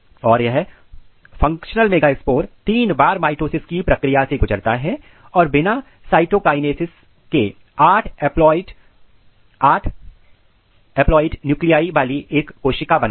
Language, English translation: Hindi, And this functional megaspores undergo the process of three round of mitosis without cytokinesis to generate a cells with 8 haploid nuclei